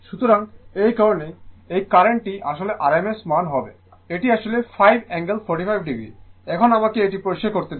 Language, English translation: Bengali, So, that is why this current will be actually rms value it actually 5 angle 45 degree now ah that let me clear it